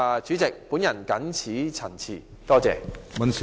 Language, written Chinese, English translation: Cantonese, 主席，我謹此陳辭，謝謝。, President I so submit . Thank you